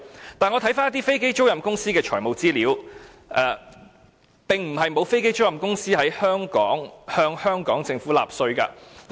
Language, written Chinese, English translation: Cantonese, 可是，我翻查了一些飛機租賃公司的財務資料，發覺並不是沒有飛機租賃公司向香港政府納稅。, And yet after examining the financial information of some aircraft lessors I discovered that some aircraft lessors are currently paying tax to the Government of Hong Kong